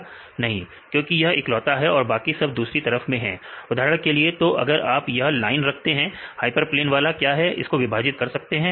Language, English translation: Hindi, No, because this is a only one and all other on the other side; for example, if you put this line hyperplane one this you can separate